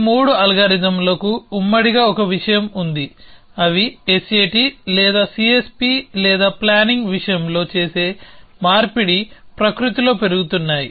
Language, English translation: Telugu, All these 3 algorithms have one thing in common is that the conversion that they do in the case of either S A T or C S P or planning is incremental in nature